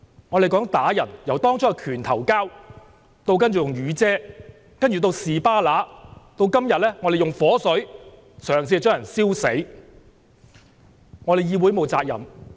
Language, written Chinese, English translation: Cantonese, 他們打人，由當初的"拳頭交"，然後用雨傘、"士巴拿"，到今天用火水企圖燒死人。, When it comes to beating up people they first engaged in fist - fights; then they used umbrellas and spanners and now they attempted to burn people to death with kerosene